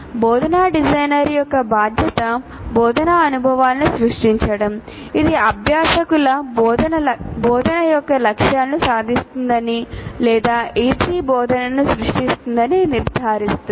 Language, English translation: Telugu, And the responsibility of the instructional designer is to create instructional experiences which ensure that the learners will achieve the goals of instruction or what you may call as E3, create E3 instruction